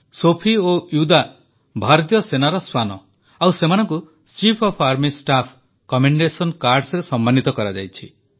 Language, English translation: Odia, Sophie and Vida are the dogs of the Indian Army who have been awarded the Chief of Army Staff 'Commendation Cards'